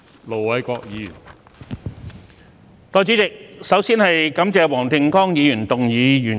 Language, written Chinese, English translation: Cantonese, 代理主席，首先感謝黃定光議員動議原議案。, Deputy President first of all I want to thank Mr WONG Ting - kwong for proposing the original motion